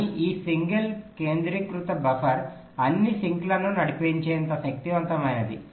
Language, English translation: Telugu, but this single centralized buffer is powerful enough to drive all the sinks